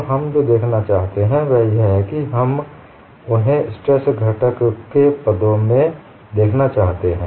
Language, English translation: Hindi, Now, we what we want to look at them is, we want to look at them in terms of stress components